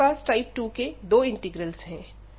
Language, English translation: Hindi, Now, we have these two integrals of type 2 integral